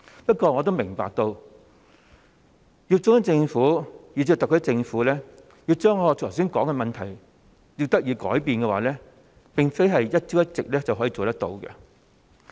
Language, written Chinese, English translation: Cantonese, 不過，我也明白，如要中央政府以至特區政府將我剛才所說的問題解決，並非一朝一夕可以做得到。, However I do understand that getting the Central Government and the SAR Government to solve the problem which I just mentioned cannot be possibly done overnight